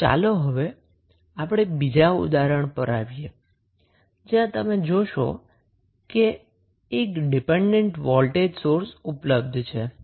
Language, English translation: Gujarati, So, now, let us come to the another example, where you will see there is 1 dependent voltage source available